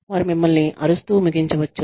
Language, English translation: Telugu, They may end up, shouting at you